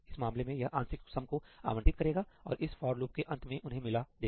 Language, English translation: Hindi, In this case, it will allocate the partial sums and combine them at the end of this for loop